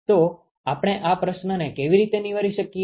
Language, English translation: Gujarati, So, how do we address this problem